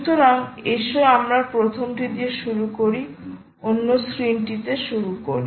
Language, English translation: Bengali, the first one is: lets start to the other screen